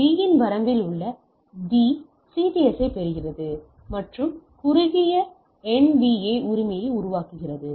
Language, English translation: Tamil, So, D in the range of B receives the CTS and creates a shorter NAV right